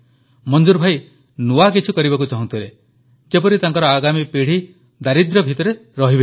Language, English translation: Odia, Manzoor bhai wanted to do something new so that his coming generations wouldn't have to live in poverty